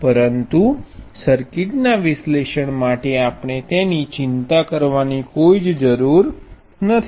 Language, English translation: Gujarati, But for analyzing circuits, we do not have to worry about it